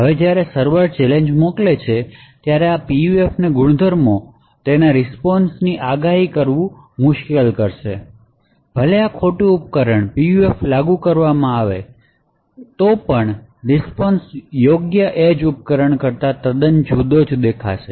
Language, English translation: Gujarati, Now when the server sends the challenge, the properties of the PUF would make it difficult to predict what the response would be further, even if the PUF is implemented in this robe device the response will look quite different than what the original response was from the correct edge device